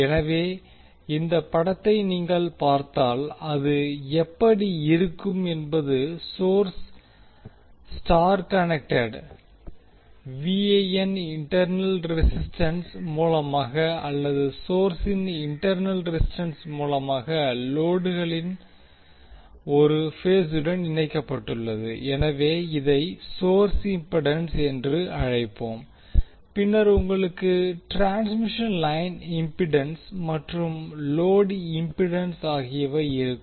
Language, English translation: Tamil, So how it will look like if you see this particular figure the source is Y connected VAN is connected to the A phase of the load through internal resistance or internal impedance of the source, so we will call it as source impedance and then you will have transmission line impedance and then the load impedance